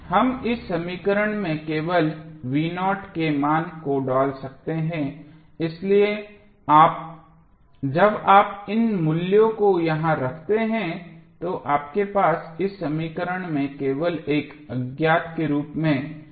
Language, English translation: Hindi, We can simply put the value of v naught in this equation so finally when you put these value here you will have only v naught as an unknown in this equation